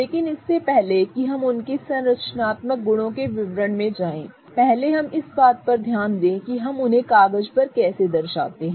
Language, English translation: Hindi, But before we go into the details of their structural properties, first let us look at how we represent them on paper